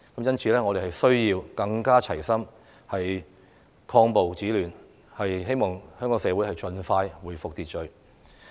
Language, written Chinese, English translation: Cantonese, 因此，我們需要更加齊心，抗暴止亂，希望香港社會盡快恢復秩序。, Therefore we have to be more united in stopping violence and curbing disorder in a bid to restore social order expeditiously